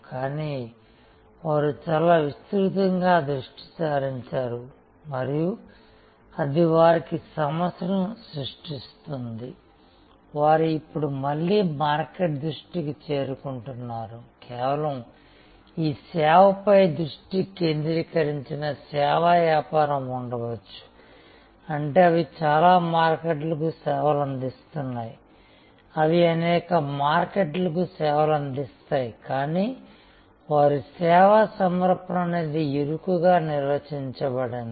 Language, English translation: Telugu, But, they became kind of very widely focused and that was creating problem for them, they are now again getting back to a market focus, there can be business service business which are just focused on the service, which means they serve many markets, they serve many markets, but they are service offering is narrowly defined